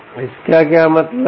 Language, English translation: Hindi, what does it mean